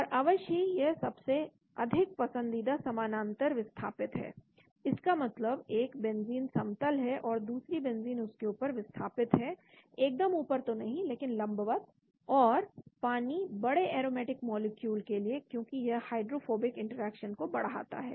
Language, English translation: Hindi, And of course this is the most favor parallel displaced, that means one benzene is flat and other benzene is on not exactly on top displaced, but parallel and water for large aromatic molecules as it enhances also hydrophobic interaction